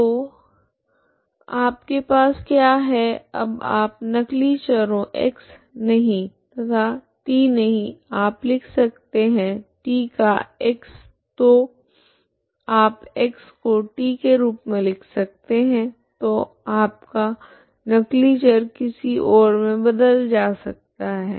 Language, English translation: Hindi, So what you have is now you can change the dummy variables x not and t not you can write it as x of t so you can write as x of t so that your dummy variable you can replace with x−c(t−t 0) something else